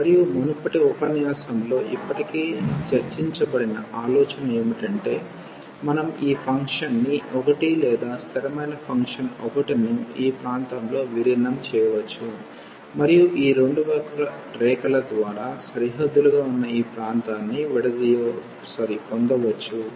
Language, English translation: Telugu, And, the idea was which has already been discussed in the previous lecture, that we can simply integrate the function 1 or the constant function 1 over this region and then we can get the area of the region bounded by these two curves